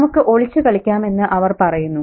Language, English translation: Malayalam, And this is the conversation, they say, let's play hide and seek